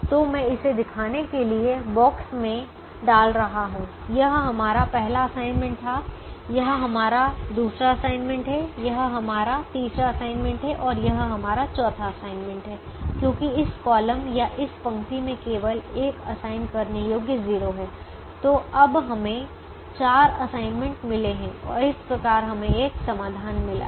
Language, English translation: Hindi, so i am just putting it into the box to show this was our first assignment, this is our second assignment, this is our third assignment and this is our fourth assignment because this column or this row has only one assignable zero